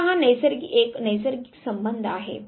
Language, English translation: Marathi, Now this is a natural occurring relationship